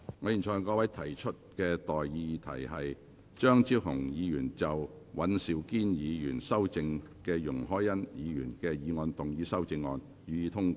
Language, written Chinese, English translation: Cantonese, 我現在向各位提出的待議議題是：張超雄議員就經尹兆堅議員修正的容海恩議員議案動議的修正案，予以通過。, I now propose the question to you and that is That Dr Fernando CHEUNGs amendment to Ms YUNG Hoi - yans motion as amended by Mr Andrew WAN be passed